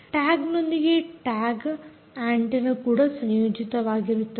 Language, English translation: Kannada, the tag also has a tag antenna associated